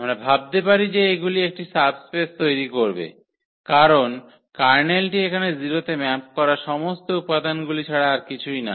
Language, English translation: Bengali, We can think that they will form a subspace because the kernel was nothing but all the elements here which maps to 0